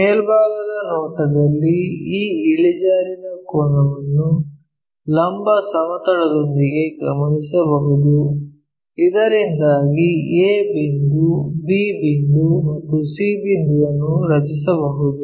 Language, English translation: Kannada, In top view we can observe this inclination angle with the vertical plane, so that a point, b point and c point we can draw it